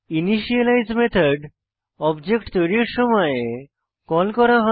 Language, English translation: Bengali, An initialize method is called at the time of object creation